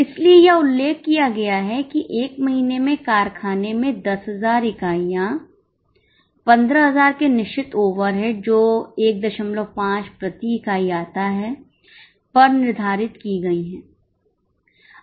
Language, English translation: Hindi, So, it is mentioned that in the factory 10,000 units are budgeted in a month with budgeted fixed overheads being 15,000 which comes to 1